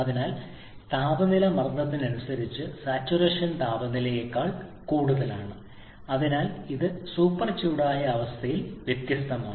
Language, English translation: Malayalam, So temperature is greater than saturation temperature corresponding to pressure so it is different in the super heated condition